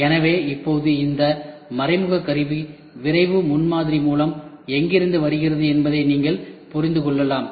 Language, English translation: Tamil, So, now, you can understand where, does this indirect tooling come from rapid prototyping